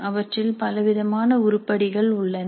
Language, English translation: Tamil, They can contain different types of items